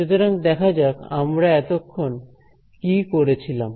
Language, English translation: Bengali, So, let us just have a look at what we have done so far